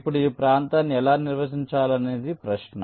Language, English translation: Telugu, now the question is how to define this regions like